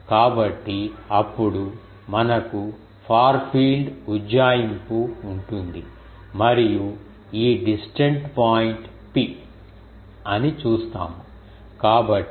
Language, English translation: Telugu, So, then we can have the far field approximation and we will see that this distant point P